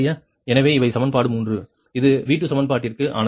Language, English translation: Tamil, so these are the, this is the equation three, this is for v two equation